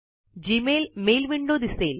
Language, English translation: Marathi, The Gmail Mail window appears